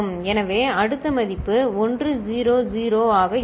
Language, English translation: Tamil, So, the next value will be 1 0 0